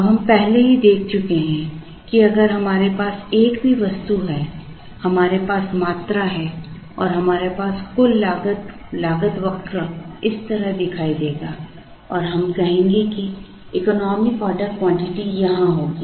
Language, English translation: Hindi, Now, we have already seen that if we have a single item where, we have quantity and we have cost the total cost curve will look like this and let us say the economic order quantity will be here